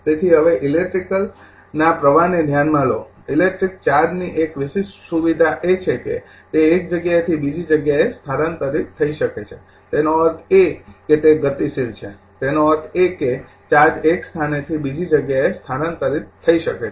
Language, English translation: Gujarati, So, now, consider the flow of electric, a unique feature of electric charge is that it can be transfer from one place to another place; that means, it is mobile; that means, charge can be transfer for one place to another